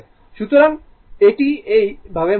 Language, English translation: Bengali, So, it is moving like this right